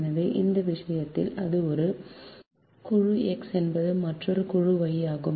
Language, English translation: Tamil, so in this case, as it is, one is group x, another is group y